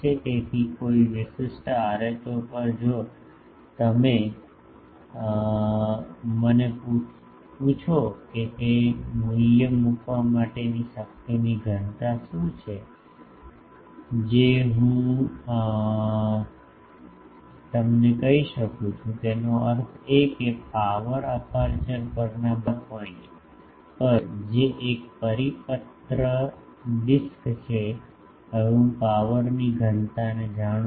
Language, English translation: Gujarati, So, at a particular rho if you ask me that what is the power density putting that value I can tell you; that means, at all points on the power aperture, which is a circular disc I now know the power density